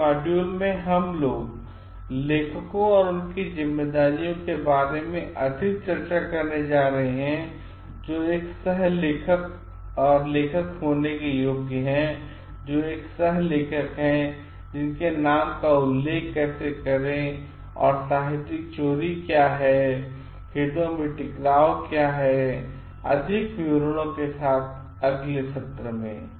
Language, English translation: Hindi, In the next module, we are going to discuss more about this the authors and their responsibilities, who qualifies to be an author, who is a co author, how to cite their names and what plagiarism is, what conflict of interest is in more details in the next session